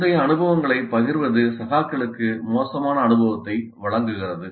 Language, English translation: Tamil, Sharing previous experiences provides vicarious experience to the peers